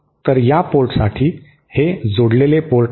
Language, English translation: Marathi, So, for this port, this is the coupled port